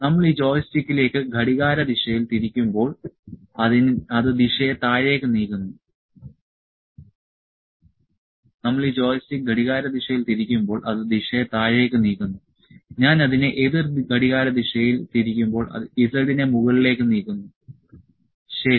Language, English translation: Malayalam, So, when we rotate this joystick clockwise, it moves the direction downwards, when I rotate it anticlockwise, it moves the z upwards, ok